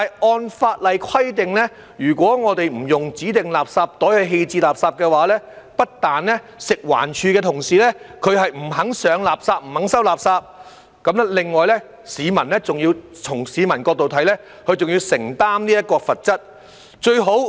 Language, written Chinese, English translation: Cantonese, 按法例規定，如果不使用指定垃圾袋棄置垃圾，不但食物環境衞生署的同事不肯上垃圾、不肯收垃圾，從市民的角度來看，他們還要承擔罰則。, According to the requirements under the law if waste is not disposed of in designated garbage bags staff from the Food and Environmental Hygiene Department FEHD will refuse to pick up and collect the garbage . From the perspective of the public they will also be liable to penalty